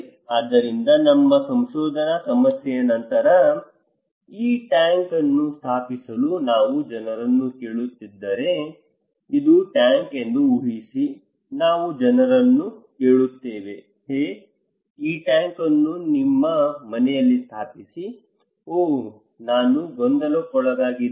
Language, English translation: Kannada, So, our research problem then, If we are asking people to install this tank, imagine this is a tank, we ask people hey, install this tank at your house oh, I am really confused why